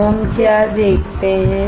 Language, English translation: Hindi, What do we see now